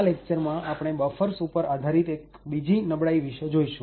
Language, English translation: Gujarati, In this lecture we will look at another vulnerability based on buffers